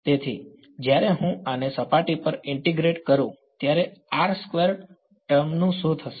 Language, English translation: Gujarati, So, when I integrate this over the surface what will happen to the r square term